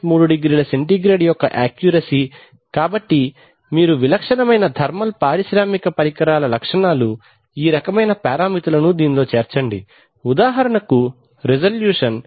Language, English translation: Telugu, 3 degree centigrade over a ± 100 degree centigrade span, so you can see that typical thermal typical such industrial instrument specifications will include this kind of parameters, for example resolution is 0